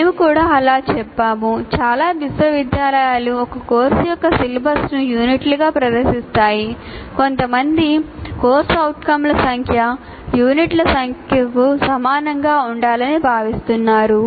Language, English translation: Telugu, And this we have also stated, so there are as many universities present their syllabus as a course as units, some feel that the number of C O should be exactly equal to number of units